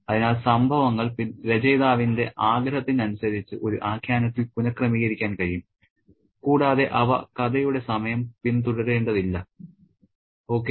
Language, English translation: Malayalam, So, the events can be rearranged in a narrative according to the wishes of the author and they need not follow the time of the story time